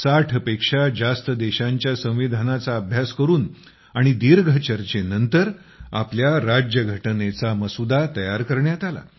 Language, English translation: Marathi, The Draft of our Constitution came up after close study of the Constitution of over 60 countries; after long deliberations